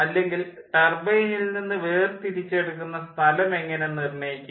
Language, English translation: Malayalam, how do i determine the extraction point from the turbine